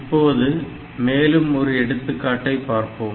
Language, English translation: Tamil, So, next we will look into another example program